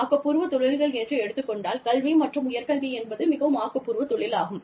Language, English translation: Tamil, In creative professions, you know, i would say, education, higher education, is also a very creative profession